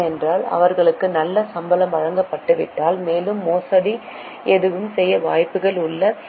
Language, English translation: Tamil, Because if they are not given good salary, there are more chances that they commit the fraud